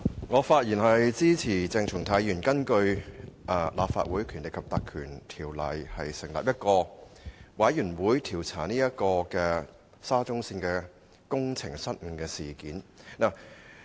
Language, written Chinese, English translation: Cantonese, 我發言支持鄭松泰議員根據《立法會條例》成立專責委員會的議案，以調查沙中線的工程失誤事件。, I speak in support of Dr CHENG Chung - tais motion to establish a select committee under the Legislative Council Ordinance to inquire into the incident of faulty works at the Shatin to Central Link SCL